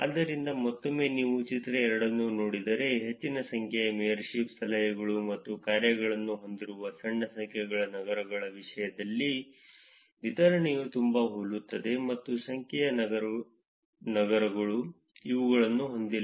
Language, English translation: Kannada, So, again if you look at figure 2, the distribution is very similar in terms of the small number of cities having large number of mayorship, tips and dones; and large number of cities, do not have these